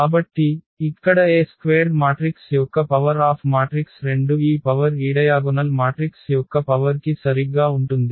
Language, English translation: Telugu, So, here the A square the power of this matrix is 2 power of this matrix; it is coming to be that this power is exactly translated to the power of this diagonal matrix